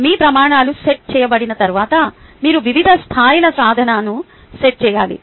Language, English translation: Telugu, once your criterias they are set, you need to set different levels of achievement